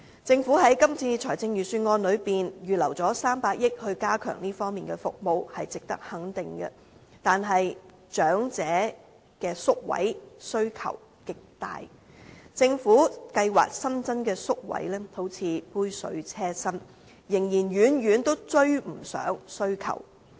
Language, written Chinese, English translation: Cantonese, 政府在今次預算案預留300億元加強這方面的服務，是值得肯定的，但長者的宿位需求極大，政府計劃新增的宿位仿如杯水車薪，仍然遠遠追不上需求。, The Governments proposal in the Budget to earmark 30 billion for enhancing services in this respect deserves our recognition yet taking into account the enormous demand for residential care places for the elderly the Governments planned number of newly added places is basically a drop in the ocean far from sufficient for satisfying the needs